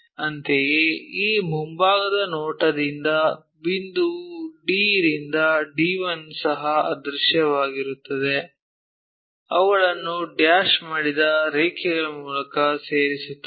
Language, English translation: Kannada, Similarly, point D to D 1 also invisible from this front view so, join them by dashed lines